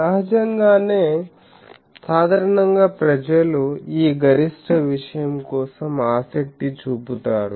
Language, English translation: Telugu, Obviously, generally people go for this maximum thing